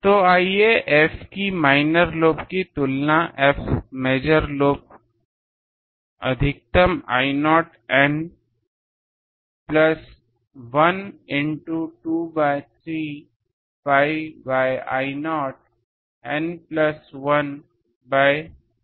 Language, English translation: Hindi, So let us compare F first minor lobe maximum by F major lobe maxima I not N plus 1 by I not N plus 1 2 by 3 pi